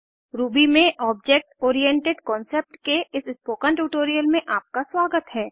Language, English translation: Hindi, Welcome to this spoken tutorial on Object Oriented Concept in Ruby